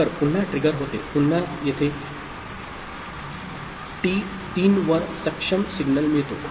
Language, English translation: Marathi, So, again it gets trigger; again it gets the enable signal over here at t3